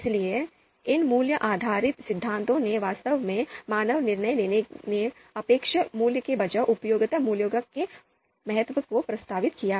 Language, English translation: Hindi, So these value based theories actually proposed the importance of utility value instead of the expected value in human decision making